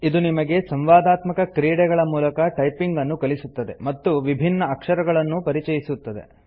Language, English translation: Kannada, It teaches you how to type using interactive games and gradually introduces you to typing different characters